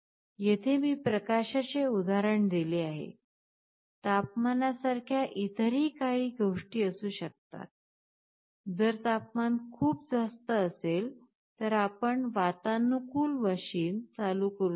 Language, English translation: Marathi, Here, I have given an example of light; there can be other things like temperature, if the temperature becomes too high, you can switch ON the air conditioning machine